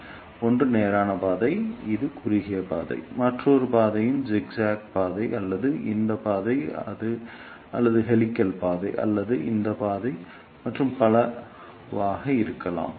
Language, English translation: Tamil, So, one is the straight path which is the shortest path, another path can be zigzag path or this path or helical path or this path and so on